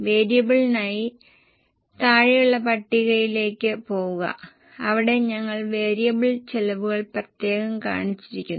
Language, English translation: Malayalam, For variable, go to the lower table where we have separately shown the variable cost